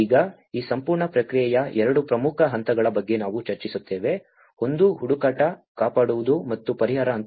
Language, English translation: Kannada, Now, we will discuss about 2 important phases of this whole process; one is the search, rescue and the relief phase